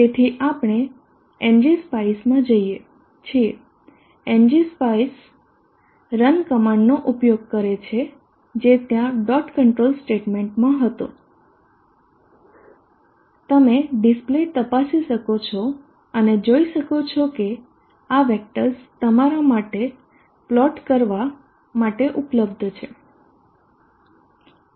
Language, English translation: Gujarati, So we are in NG specie NG specie as use the run command which was there in the dot control statement you can check the display and see that these are the vectors available for you to plot